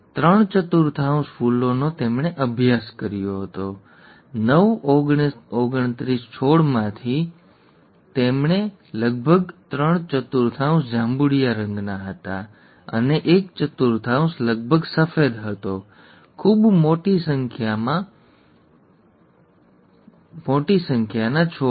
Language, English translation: Gujarati, Three fourths of the flowers, he had studied about nine hundred and something plants, yeah here, among nine twenty nine plants, about three fourths were purple, and one fourth was white approximately, in a very large number of plants